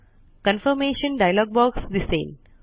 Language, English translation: Marathi, A confirmation dialog box appears.Click OK